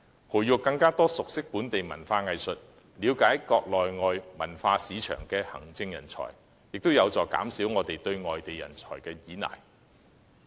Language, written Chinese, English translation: Cantonese, 培育更多熟悉本地文化藝術，並了解國內外文化市場的行政人才，亦有助減少我們對外地人才的依賴。, To nurture more administrators who are familiar with local culture and arts and understand the cultural markets both at home and abroad will also help reduce our dependence on overseas talent